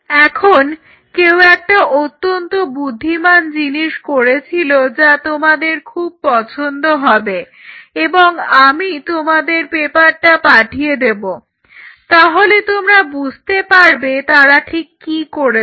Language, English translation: Bengali, Now, somebody did a very smart thing you will love what they did and I will send you the paper then you will realize what they did they take this antibody